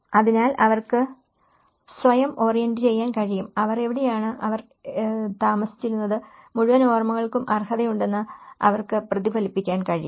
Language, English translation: Malayalam, So, they can orient themselves, they can reflect that the memories where they belong to, where they used to live you know, that whole memories could be entitlement